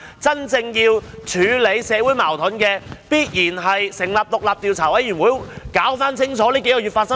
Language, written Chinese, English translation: Cantonese, 真正可以處理社會矛盾的，必然是成立獨立調查委員會，釐清過去數月發生的事。, The only way to handle the social conflicts is definitely the setting up of an independent investigation committee to clarify what had happened in the past couple of months